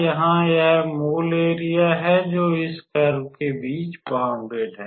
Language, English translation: Hindi, So, this is the required area that is being bounded between this curve